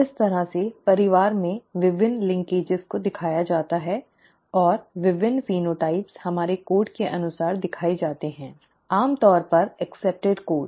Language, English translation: Hindi, This is the way the various linkages in the family are shown and the various phenotypes are shown according to our code, the generally accepted code